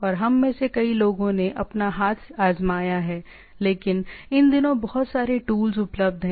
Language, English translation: Hindi, And many of us have tried our hand, but these days lot of tools are available